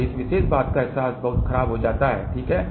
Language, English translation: Hindi, So, the realization of this particular thing becomes very very poor, ok